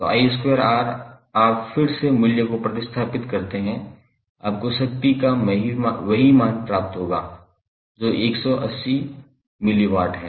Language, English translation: Hindi, So I square into R you put the value again you will get the same value of power dissipated that is 180 milliwatt